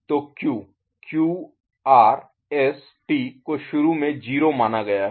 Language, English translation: Hindi, So, Q ok Q, R, S, T initially it has been considered is 0